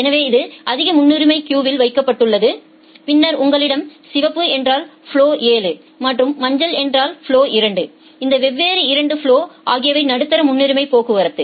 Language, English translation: Tamil, So, it is put in the highest priority queue, then you have this red and the red means flow 7 and yellow means flow 2 these 2 different flows which are medium priority traffic